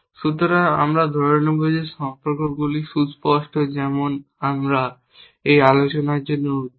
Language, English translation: Bengali, So, we will assume that the relations are explicit as for as we are concern for this discussion